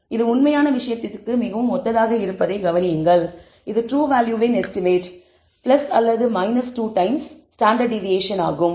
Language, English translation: Tamil, Notice this is very similar to the normal thing which says that the true value will between estimate plus or minus 2 times the standard deviation